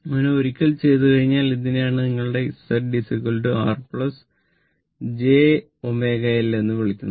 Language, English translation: Malayalam, So, this is what you call that your Z is equal to I told you that R plus j omega L